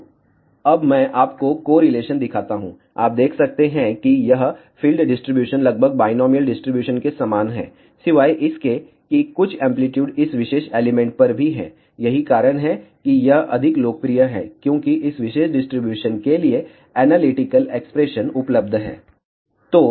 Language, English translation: Hindi, So, now, let me show you the correlation you can see that this field distribution is almost similar to that of binomial distribution except that some amplitude is there even at this particular element; the reason why this is more popular because analytical expressions are available for this particular distribution